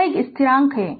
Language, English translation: Hindi, It is a constant